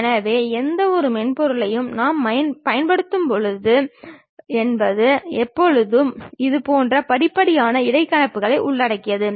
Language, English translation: Tamil, So, any software what we use it always involves such kind of step by step interpolations